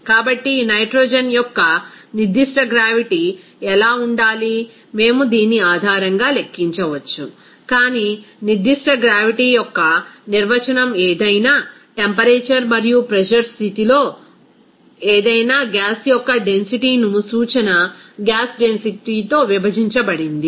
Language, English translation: Telugu, So, what should be the specific gravity of this nitrogen, we can simply calculate based on this, but the definition of the specific gravity is the density of any gas at any temperature and pressure condition divided by the reference gas density